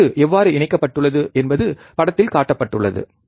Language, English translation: Tamil, How the circuit is connected is shown in figure